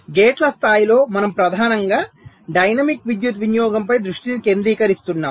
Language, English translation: Telugu, so, at the level of gates, we are mainly concentrating at the dynamic power consumption